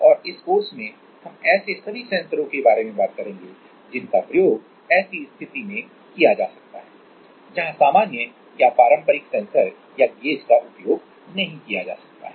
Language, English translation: Hindi, And in this course, we are all going to talk about this kind of sensors which can be used in such a situation where the normal or the conventional sensors or gauges cannot be used